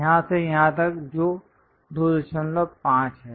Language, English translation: Hindi, From here to here that is 2